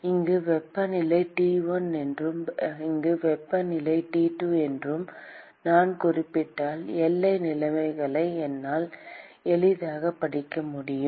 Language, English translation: Tamil, And if I specify that the temperature here is T1 and temperature here is T2 and I could easily read out the boundary conditions